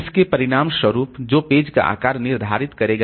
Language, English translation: Hindi, So as a result, that will determine the page side